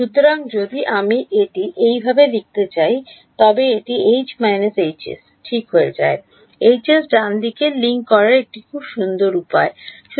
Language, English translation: Bengali, So, in terms of if I want to write it like this it becomes 1 minus 1 H s H right so, a very nice way to link up the H s right